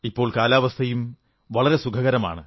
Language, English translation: Malayalam, The weather too these days is pleasant